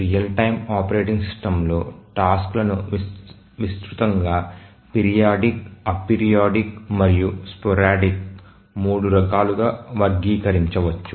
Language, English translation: Telugu, So, a real time operating system, the tasks can be broadly saying three types, periodic, a periodic and sporadic